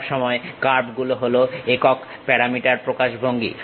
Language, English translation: Bengali, Curves are always be single parameter representation